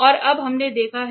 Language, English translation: Hindi, And now we have seen